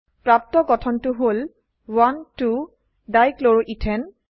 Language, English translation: Assamese, The new structure obtained is 1,2 Dichloroethane